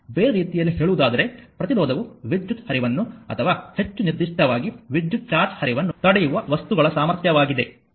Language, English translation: Kannada, In other words, resistance is the capacity of materials to impede the flow of current or more specifically the flow of electric charge